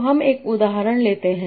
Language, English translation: Hindi, So let's take an example